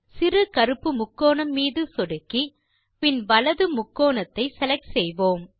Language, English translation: Tamil, Click on the small black triangle and select Right Triangle